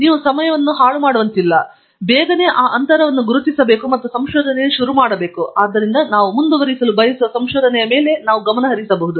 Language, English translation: Kannada, And, we must identify the gaps very quickly, so that we can focus on the research that we want to pursue